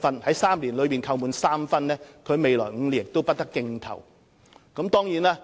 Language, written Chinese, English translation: Cantonese, 在3年內被扣滿3分的承辦商，將於未來5年不得競投政府服務合約。, Should a contractor receive three demerit points in three years his tender submission will not be considered by the Government in the next five years